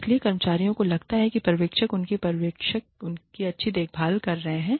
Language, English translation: Hindi, So, the employees feel, that the supervisors, their supervisor are taking, good care of them